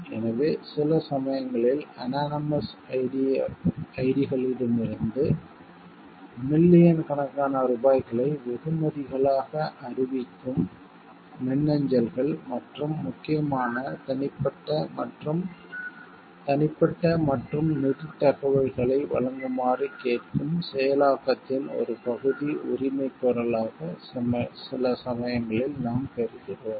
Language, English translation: Tamil, So, it is been sometimes what we sometimes receive mails from anonymous id s who declare millions of rupees as rewards and the as a part claim of processing asking us to provide or important personal and private and financial information s